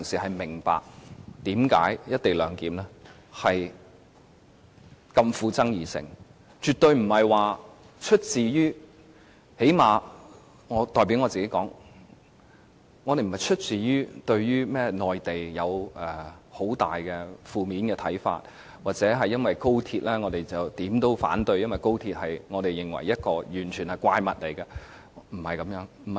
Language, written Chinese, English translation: Cantonese, 我們反對"一地兩檢"絕對不是——最少我代表我自己說——不是出於對內地有很大的負面看法，又或因為我們認為高鐵是怪物，凡是有關高鐵的便無論如何也要反對。, Our objection to the co - location arrangement has nothing to do with whether we have any ill - feelings towards the Mainland . This is true at least in my own case . Nor do we consider XRL so monstrous that we oppose everything related to it at all cost